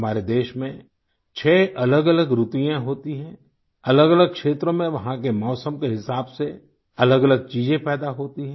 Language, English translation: Hindi, There are six different seasons in our country, different regions produce diverse crops according to the respective climate